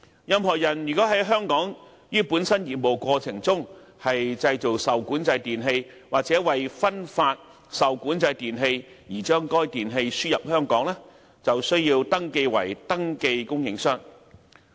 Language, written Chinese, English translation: Cantonese, 任何人在香港於本身業務過程中製造受管制電器或為分發受管制電器而將該電器輸入香港，便須登記為登記供應商。, Any person who manufactures regulated electrical equipment REE in Hong Kong in the course of the persons business or imports REE into Hong Kong for distribution has to be registered as registered suppliers